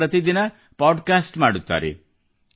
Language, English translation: Kannada, He also does a daily podcast